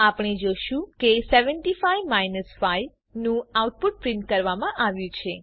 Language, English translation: Gujarati, we see that the output of 75 5 has been printed, Now Let us try multiplication